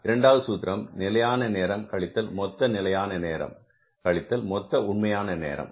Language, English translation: Tamil, That the standard time minus the standard time minus total actual time